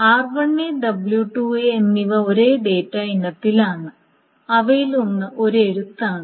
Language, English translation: Malayalam, Now R1A and W2A are on the same data item and one of them is a right